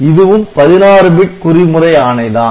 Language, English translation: Tamil, So, this is also a 16 bit coding